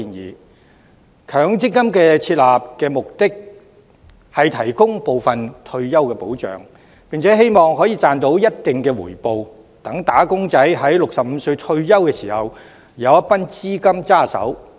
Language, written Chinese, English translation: Cantonese, 設立強積金的目的是提供部分退休保障，並希望能賺取一定的回報，讓"打工仔"在65歲退休時有一筆資金在手。, The objective of setting up MPF is to provide partial retirement protection for wage earners with the hope that a certain level of return can be earned so that wage earners will be able to have an amount of capital in hand when they retire at the age of 65